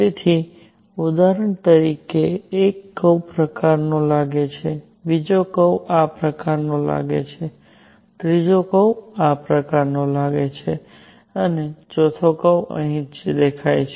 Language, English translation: Gujarati, So, for example one curve looks like this, the second curve looks like this, third curve looks like this and the fourth curve looks like right here